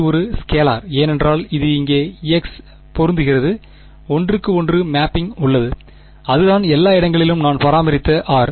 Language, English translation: Tamil, It is a scalar because it matches with the x over here right, there is a one to one mapping and that is the r that I maintained everywhere right